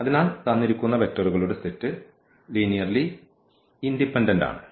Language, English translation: Malayalam, So, this given set of vectors here is linearly dependent